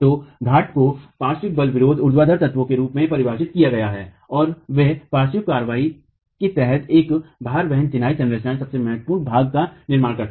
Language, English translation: Hindi, So, the peers are defined as lateral load resisting vertical elements and they form the most important part of a load bearing masonry structure under the lateral action